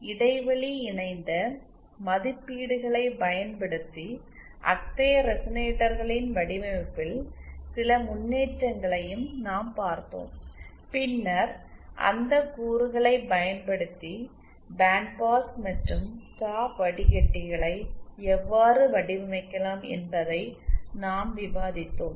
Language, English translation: Tamil, Then we also showed some improvement in the design of such resonators using the gap couple ratings and then we discussed how using those elements you can design band pass and stop filters